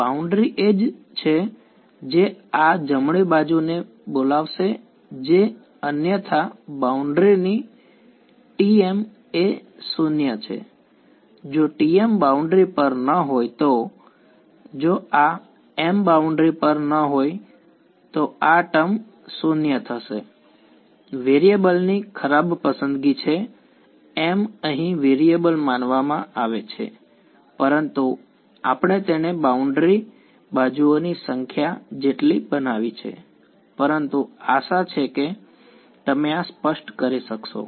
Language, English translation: Gujarati, A boundary edge is what is going to invoke this right hand side that is otherwise T m is 0 on the boundary right; if T if m is not on the boundary if this m is not on the boundary this term is 0 bad choice of variables m here is suppose to be variable, but we made it equal to number of boundary edges, but hopefully its clear you can make this all into i if you want